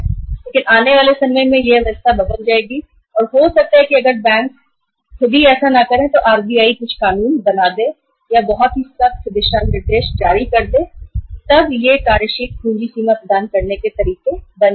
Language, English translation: Hindi, But in the time to come this system will change and maybe if the banks themselves are not doing it RBI may may enact some some loss or they can issue very strict guidelines that these will be now the modes of providing working capital limit